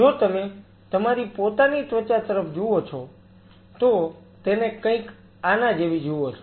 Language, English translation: Gujarati, If you look at your own skin to the something like this is